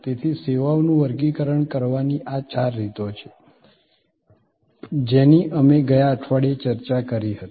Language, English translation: Gujarati, So, these are four ways of classifying services that we discussed last week